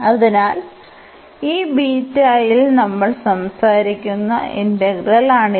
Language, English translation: Malayalam, So, this is exactly the integral we are talking about in this beta